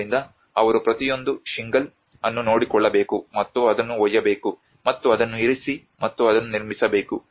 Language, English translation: Kannada, So they have to take care of each and every shingle out, and carry it, and place it, and erect it